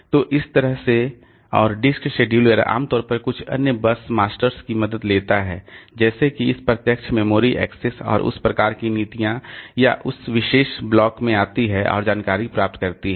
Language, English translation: Hindi, So, that way the and disk scheduler normally takes help of some other bus masters like this direct memory access and that type of policies to come to that particular block and get the information